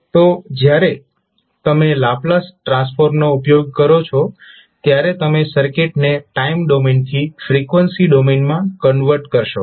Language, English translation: Gujarati, So, when you use the Laplace transform you will first convert the circuit from time domain to frequency domain